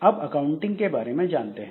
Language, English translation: Hindi, Then some accounting information